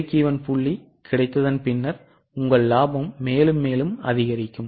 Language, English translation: Tamil, After break even point, your profitability will increase more and more